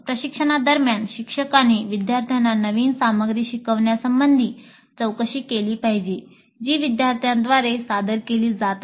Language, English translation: Marathi, During instruction, teacher must probe the students regarding their learning of the new material that is being presented by the instructor